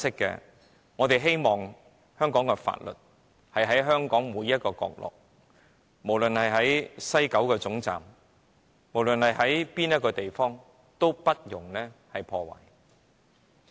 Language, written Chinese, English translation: Cantonese, 然而，我們希望香港的法律在香港的每個角落實行，不論是西九龍總站或任何一處地方，均不容有阻。, But what we want is the enforcement of Hong Kong laws in all places of the territory West Kowloon Station or any other places alike without any obstruction